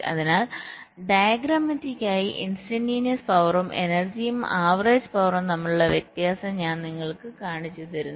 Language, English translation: Malayalam, ok, so diagrammatically i am showing you the difference between instantaneous power, the energy and the average power